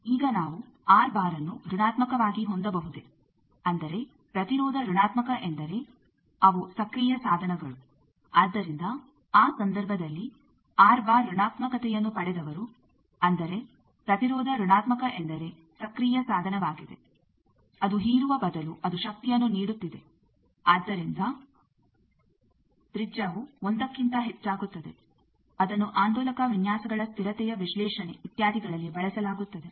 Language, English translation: Kannada, Now can we have R bar negative that means resistance negative means a is in active devices we have resistance negative, so in that case that point who has got R bar negative that means, the resistance negative means it is an active device it is instead of dissipating it is giving power so that the radius falls outside is more than 1 it is used for oscillator designs stability analysis etcetera